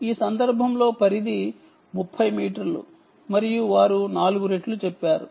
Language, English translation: Telugu, range is about thirty meters in this case and they say four fold